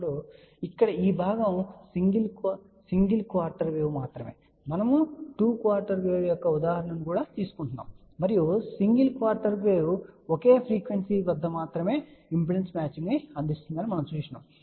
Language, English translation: Telugu, So, here this part is only single quarter wave we will take example of 2 quarter wave also and we have seen that the single quarter wave provides impedance matching only at a single frequency, so we will see these results one by one